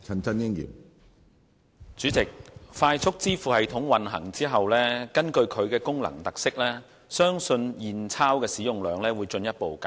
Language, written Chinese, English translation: Cantonese, 主席，快速支付系統運行後，基於其功能特色，相信現鈔的使用量會進一步減少。, President I believe that after FPS commences operation given the special features of its functions the usage of cash will further reduce